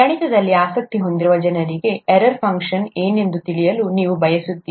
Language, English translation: Kannada, For people who have an interest in maths, you would like to know what an error function is